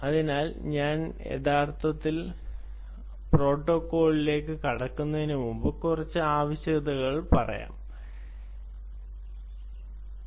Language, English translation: Malayalam, so, before i actually get into the protocol, let me put down a few points